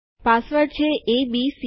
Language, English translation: Gujarati, Say the password is abc